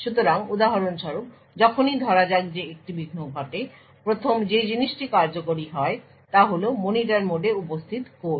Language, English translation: Bengali, So for example whenever there is let us say that an interrupt occurs the first thing that gets executed is code present in the Monitor mode